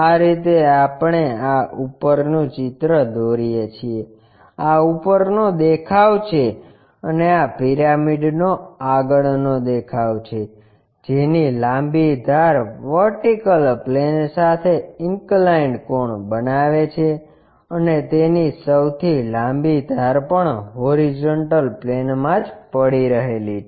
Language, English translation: Gujarati, This is the way we construct this top, this is the top view and this is the front view of a pyramid whose longer edge is making an inclined angle with the vertical plane and is longest edges resting on the horizontal plane also